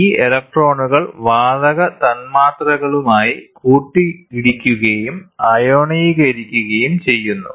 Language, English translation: Malayalam, These electrons collide with the gas molecules and ionize them